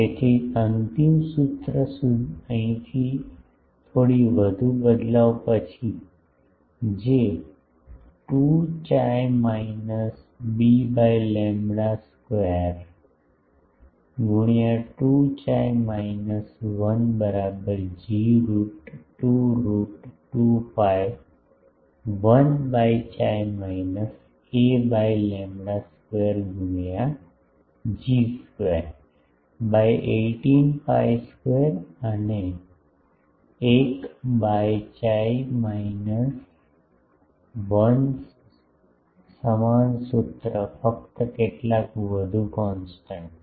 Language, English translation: Gujarati, So, final formula is from here after a bit more manipulation 2 chi minus b by lambda whole square into 2 chi minus 1 is equal to G root by 2 root 2 pi 1 by x minus a by lambda whole square into G square, by 18 pi square one by chi minus 1 same formula only some more constant